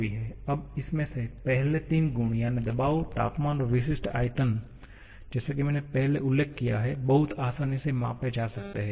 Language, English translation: Hindi, Now, out of this, the first 3 pressure, temperature, specific volume as I mentioned earlier can be measured very easily